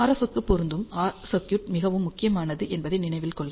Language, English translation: Tamil, So, remember matching circuit for RF is very very important